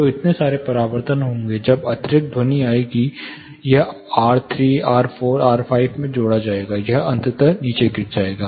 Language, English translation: Hindi, So, so many reflections would happen, as and when additional sound will come, this will be adding up followed by R3 R4 R5, it will eventually decay down